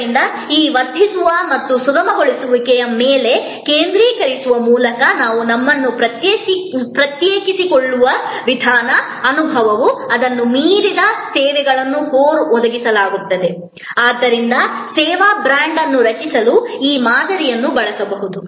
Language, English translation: Kannada, And therefore, the way we distinguish ourselves by focusing on these enhancing and facilitating services where the experience goes beyond it is provided by the core, one can use this model therefore to create the service brand